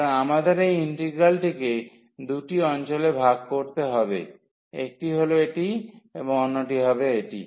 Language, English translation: Bengali, So, we have to break this integral into two regions one would be this one and the other one would be this one